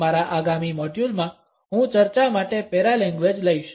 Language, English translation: Gujarati, In my next module, I would take up paralanguage for discussions